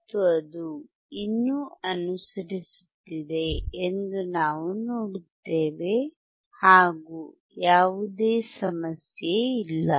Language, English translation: Kannada, And we will see that it is still following there is no problem